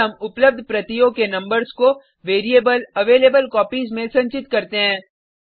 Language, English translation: Hindi, We then store the number of availablecopies into the variable availableCopies